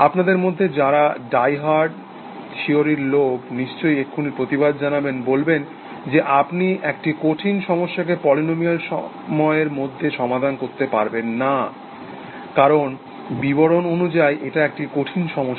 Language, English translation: Bengali, Of course, those of you, who are diehard theory people, would immediately object, saying that you cannot solve a hard problem in polynomial time, because by definition, it is a hard problem